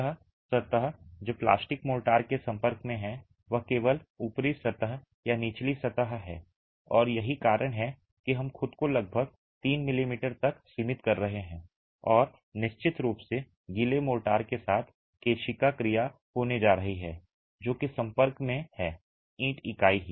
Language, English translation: Hindi, The surface that is in contact with plastic motor is only that top surface or the bottom surface and that's why we are restricting ourselves to about 3 m m and of course there is going to be capillary action with the wet motor that is in contact with the brick unit itself